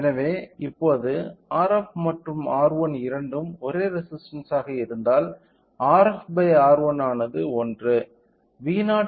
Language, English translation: Tamil, So, now, if both R f and R 1 are same resistance will get R f by R 1 as 1